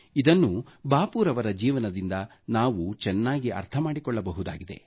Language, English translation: Kannada, We can understand this from Bapu's life